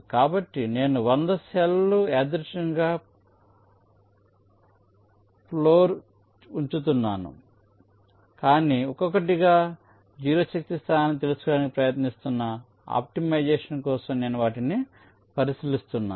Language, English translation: Telugu, so i am randomly placing the hundreds cells on the floor, but one by one i am considering them for optimization, trying to find out the zero force location